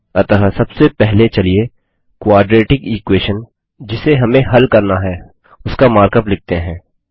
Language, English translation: Hindi, So first let us write the mark up for the quadratic equation that we want to solve